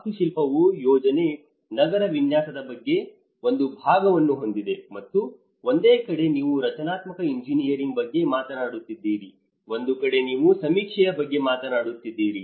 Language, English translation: Kannada, The architecture has a part of planning, an urban design and on one side you are talking about the structural engineering, one side you are talking about the surveying